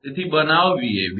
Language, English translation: Gujarati, So, make Vab